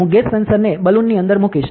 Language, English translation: Gujarati, So, I will put the gas sensor inside a balloon ok